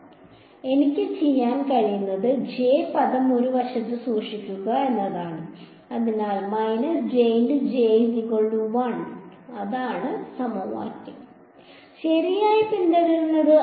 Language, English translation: Malayalam, So, what I can do is just keep the j term on one side, so this is the equation that follows right